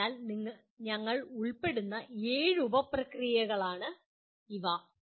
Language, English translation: Malayalam, So these are the seven sub processes that we are involved